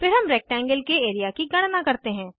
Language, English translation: Hindi, Then we calculate the area of the rectangle